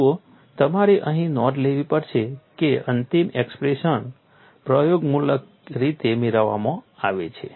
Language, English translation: Gujarati, See you have to note here, the final expression is obtain in an empirical fashion